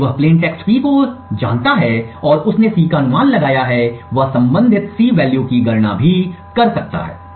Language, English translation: Hindi, Since he knows the plane text P and he has guessed C, he can also compute the corresponding C value